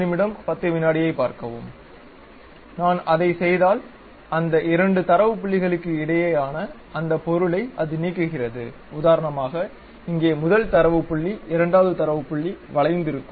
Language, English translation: Tamil, If I just do that it removes that object which is in between those two data points for example, here first data point second data point is there curve is there